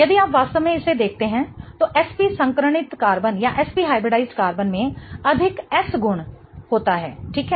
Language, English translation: Hindi, If you really see this, the SP hybridized carbon has more S character in the carbon, right